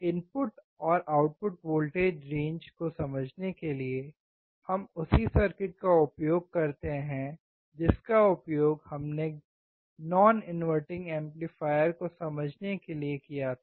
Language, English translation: Hindi, To understand the input and output voltage range, we use the same circuit that we used for understanding the non inverting amplifier